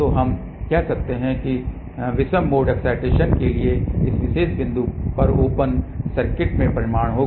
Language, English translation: Hindi, So, we can say that this will be resulting into open circuit at this particular point for odd mode excitation